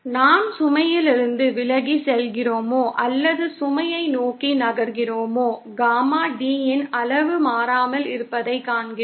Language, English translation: Tamil, We see that whether we are moving away from the load or towards the load, the magnitude of Gamma D remains constant